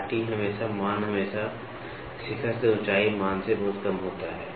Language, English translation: Hindi, The valley is always the value is always much less than peak to height value